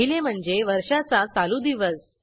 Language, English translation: Marathi, The First is the present day of the year